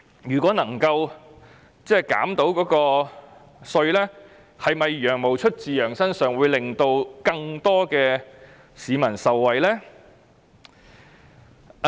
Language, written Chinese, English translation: Cantonese, 如果能夠獲得寬減，"羊毛出自羊身上"可能令更多市民受惠。, Given that the fleece comes off the sheeps back if concessions are granted more members of the public may benefit